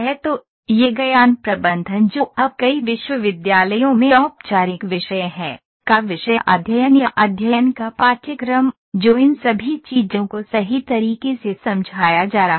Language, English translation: Hindi, So, this knowledge management which is now formal subject in many universities; subject of study or course of study, that is encapsulating all these things right